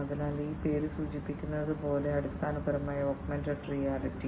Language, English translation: Malayalam, So, this is basically the overall history of augmented reality